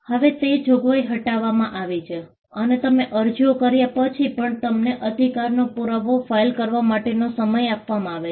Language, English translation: Gujarati, Now that provision has been removed, you have been given time to file a proof of right, even after you make the applications